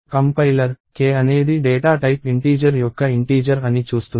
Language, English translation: Telugu, The compiler sees that k is an integer of data type integer